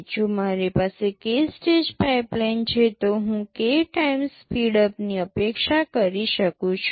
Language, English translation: Gujarati, If I have a k stage pipeline, I can expect to have k times speedup